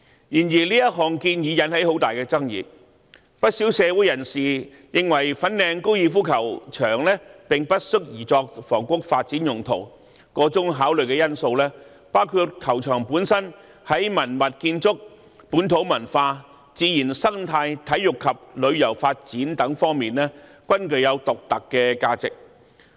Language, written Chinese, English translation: Cantonese, 然而，這項建議引起很大的爭議，不少社會人士認為粉嶺高爾夫球場並不適宜作房屋發展用途，箇中考慮因素包括球場本身在文物建築、本土文化、自然生態、體育及旅遊發展等方面，均具有獨特的價值。, However this recommendation has aroused a great controversy . Many members of the community find the Fanling Golf Course unsuitable for housing development . The factors of consideration include the unique value of the golf course in such aspects as heritage natural ecology sports tourism development etc